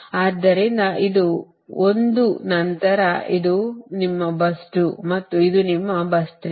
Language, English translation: Kannada, so this is one, then this is your bus two and this is your bus three